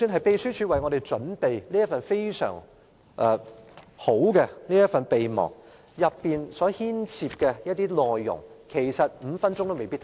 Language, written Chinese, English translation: Cantonese, 秘書處為我們準備了這份非常好的備忘，但當中的內容5分鐘也未必看完。, The Legislative Council Secretariat has prepared an excellent memorandum for us but it may not be possible to finish reading it within five minutes